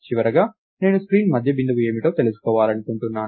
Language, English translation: Telugu, And finally, I want to find out what is the middle of the screen